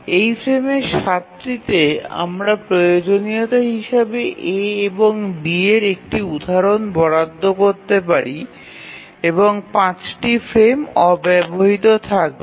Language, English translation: Bengali, So 12 frames to 7 of those frames we can assign an instance of A or B as required and 5 frames will remain unutilized